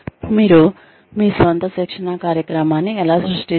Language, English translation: Telugu, How do you create your own training program